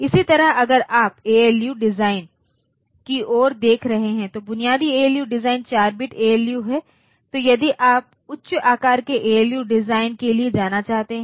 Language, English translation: Hindi, Similarly if you are looking into the ALU design, basic ALU design is a 4 bit ALU, so if you want to go for higher sized ALU design